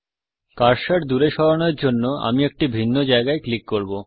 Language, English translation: Bengali, I will click at a different location to move the cursor away